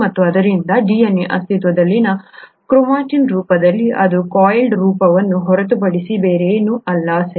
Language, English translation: Kannada, And, so DNA exists in what is called a chromatin form which is nothing but this coiled form, okay